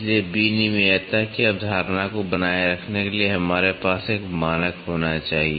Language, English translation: Hindi, So, for maintaining the interchangeability concept we need to have a standard